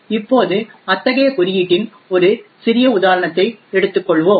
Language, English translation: Tamil, Now we will take a small example of such a code